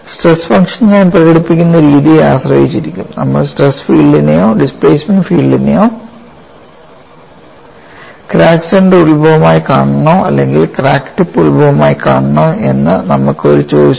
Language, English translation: Malayalam, In terms of the stress function, now we have a choice, whether we want to look at the stress field or displacement field with crack center as the origin or crack tip as the origin, depending on the way I express the stress function